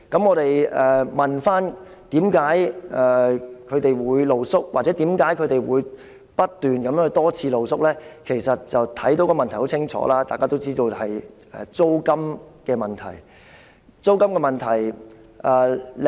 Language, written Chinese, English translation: Cantonese, 我們問該些露宿者，為何他們會露宿或不斷多次露宿——其實原因很清楚，大家也都知道——答案就是租金問題。, We asked those street sleepers why they would remain homeless or constantly sleep rough on the streets―actually the reason is crystal clear to all of us―and got the answer that it was all about rents